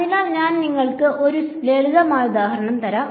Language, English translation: Malayalam, So I will give you a simple example